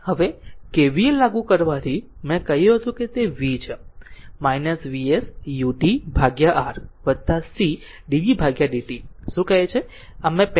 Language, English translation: Gujarati, Now, applying KCL, I told you it is v minus your what you call V s U t upon R plus C dv by dt, this already I have told you